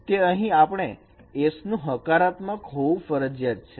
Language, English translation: Gujarati, So we have put the restriction that S has to be positive